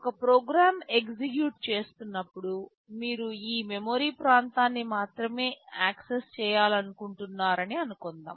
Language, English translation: Telugu, You want to see that when a program is executing, you are supposed to access only this region of memory